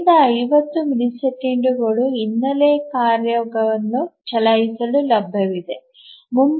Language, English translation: Kannada, So, the rest of the 50 millisecond is available for the background task to run